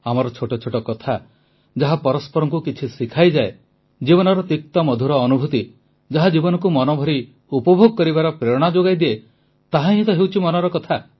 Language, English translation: Odia, Little matters exchanged that teach one another; bitter sweet life experiences that become an inspiration for living a wholesome life…and this is just what Mann Ki Baat is